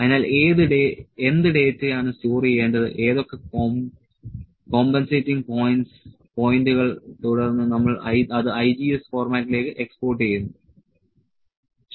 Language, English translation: Malayalam, So, what data will have to store what points all the compensating points then we export it into the IGES format, ok